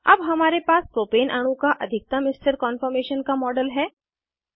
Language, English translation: Hindi, We now have the model of the most stable conformation of Propane molecule